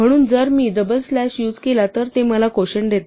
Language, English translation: Marathi, So, if I use a double slash it gives me the quotient